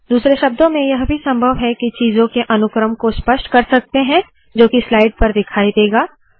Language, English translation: Hindi, In other words, it is possible to specify the sequence in which the things that you have on the slide will appear